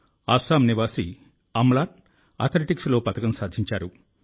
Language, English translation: Telugu, Amlan, a resident of Assam, has won a medal in Athletics